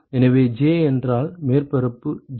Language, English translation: Tamil, So, if j have surface j